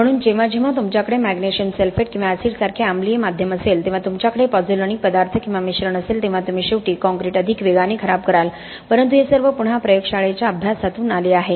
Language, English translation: Marathi, So whenever you have acidic medium like magnesium sulphate or acids you will ultimately end up deteriorating a concrete much faster when you have pozzolanic materials or admixtures, but all this again come from laboratory studies